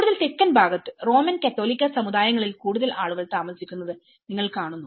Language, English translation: Malayalam, In further South, you see more of the Roman Catholic communities live there